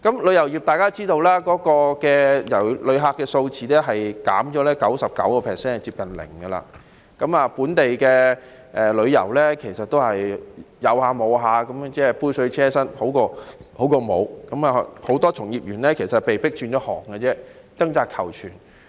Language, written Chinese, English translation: Cantonese, 旅遊業的情況大家也知道，旅客數字減少 99%， 接近零，本地旅遊其實也只是間歇性，杯水車薪，只是比沒有的好，以致很多從業員被迫轉行，掙扎求存。, There has been a 99 % drop in the number of tourists which is close to zero . Local tourism is in fact only sporadic and a drop in the bucket just better than nothing . Hence many practitioners have been forced to switch to other trades struggling for survival